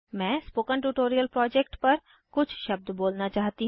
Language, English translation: Hindi, I want to say a few words on the spoken tutorial project